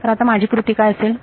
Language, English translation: Marathi, So, now, what is my recipe